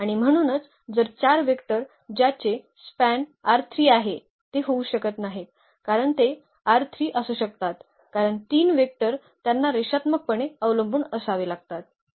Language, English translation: Marathi, And so, if there are 4 vectors which is span r 3 they cannot be they cannot be basis because, 4 vectors from R 3 they have to be linearly dependent this is the result here